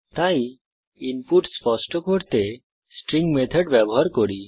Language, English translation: Bengali, So let us use the String methods to clean the input